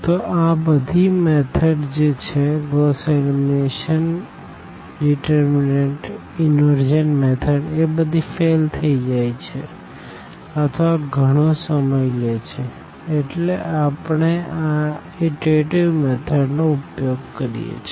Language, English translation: Gujarati, So, these all these methods which we have this method of determinant Gauss elimination, inversion method they actually fails or rather they take longer time, so, we take these iterative methods